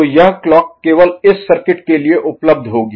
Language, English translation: Hindi, So, this clock will be available only for this circuit ok